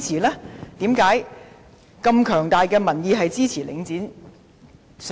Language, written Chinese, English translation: Cantonese, 為甚麼有這麼強大的民意是支持領匯上市？, Why were there an overwhelming public opinion supportive of the listing of The Link REIT?